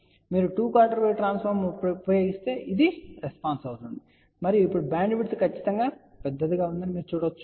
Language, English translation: Telugu, So, if you use two quarter wave transformer, this will be the response and you can see now the bandwidth is definitely much larger